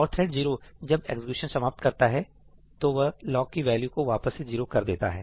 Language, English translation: Hindi, And thread 0, once it finishes execution, it is going to reset this back to 0